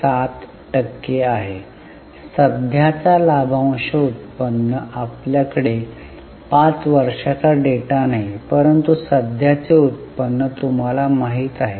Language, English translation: Marathi, 7 percent this is the current dividend yield We don't have 5 year data but the current yield is known to you